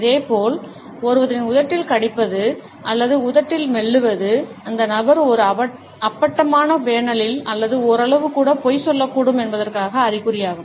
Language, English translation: Tamil, Similarly, we find that biting on one’s lips or chewing on the lip, it is also an indication that the person may be lying either in a blatent panel or even in partially